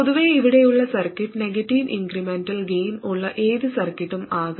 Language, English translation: Malayalam, And in general, circuitry from there to there, it can be any circuit with a negative incremental gain